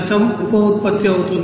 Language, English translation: Telugu, 1% will be byproduct